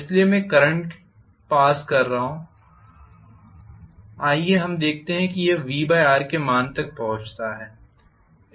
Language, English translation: Hindi, So I am passing a current let us say it reaches the value of say V by R